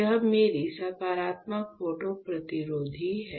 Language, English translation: Hindi, This is my positive photo resistive correct